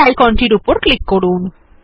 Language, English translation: Bengali, Let us click on this icon